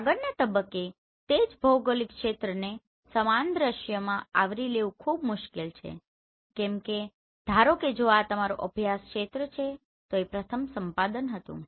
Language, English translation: Gujarati, In the next point it is very difficult to cover the same geographic area in same scene why because suppose if this is your study area this was the first acquisition